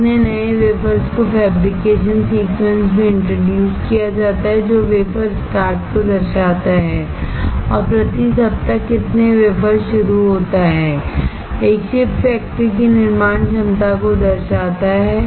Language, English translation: Hindi, How many new wafers are introduced into the fabrication sequence shows the wafer start and how many wafers starts per week indicates manufacturing capacity of a chip factory